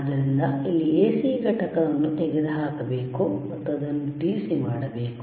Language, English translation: Kannada, So, we have to remove the AC component, and we have to make it DC